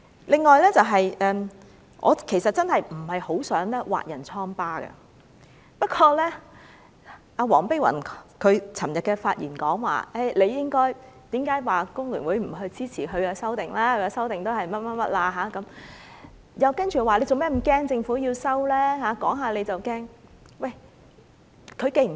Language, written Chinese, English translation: Cantonese, 另外，我真的不想挖人瘡疤，不過，黃碧雲議員昨天發言時，問工聯會為何不支持她的修訂建議，那修訂只是怎樣怎樣，接着又問為何要怕政府撤回《條例草案》，政府說說就要怕。, Another point is that―well I am most reluctant to rub others noses in it―yesterday Dr Helena WONG questioned why FTU refused to support her amendment which merely covers this and that and then went on to ask us why we were easily threatened by the Governments bare assertion that it would withdraw the Bill